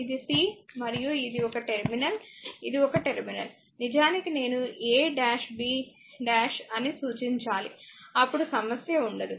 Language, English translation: Telugu, This is c this is your c right and this is your some terminal this is your some terminal, I actually I should it made a dash b dash then there is no problem right